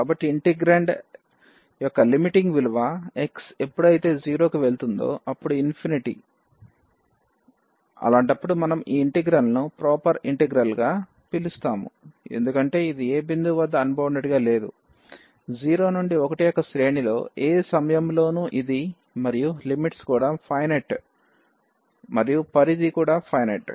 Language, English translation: Telugu, So, here the limiting value of this integrand as this x goes to 0 is infinite, in that case also we will call this integral as a proper integral because this is not unbounded at any point in the range of this 0 to 1 and the limits are also finite the range is finite